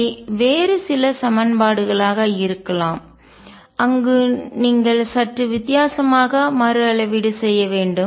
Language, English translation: Tamil, They could be some other equations where you have to rescale slightly differently